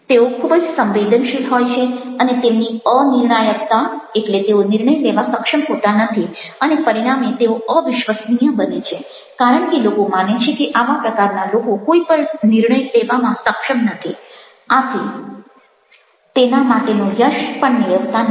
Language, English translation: Gujarati, they are very vulnerable and their indecisiveness means they are not able to take the decision and, as a result, they are incredible because people think that this kind of people are